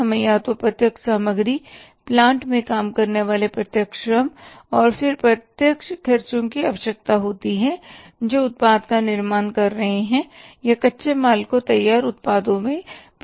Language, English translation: Hindi, We either require direct material, direct labour working on the plant and then the direct expenses which are incurred while manufacturing the product or converting the raw material into the finished products